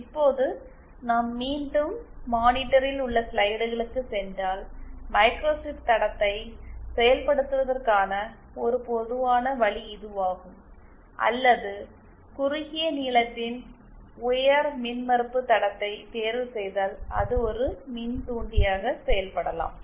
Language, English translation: Tamil, Now if we go once again back to the slides on the monitor, then one common way of implementing a microstrip line would beÉ Or if we choose a high impedance line of short length, then it can act as an inductor